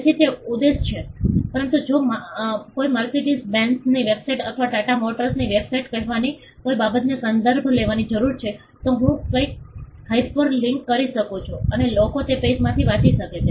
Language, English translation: Gujarati, So, it is objective of, but if I need to refer to something say Mercedes Benz’s website or Tata motor’s website so, something I can just hyperlink and people can read from that page